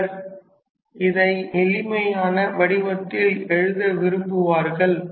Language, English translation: Tamil, Some people right prefer to write it in a rather how to say simpler form